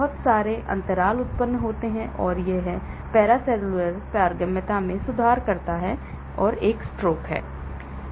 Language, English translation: Hindi, so lot of gaps are produced and it improves the paracellular permeability , stroke is one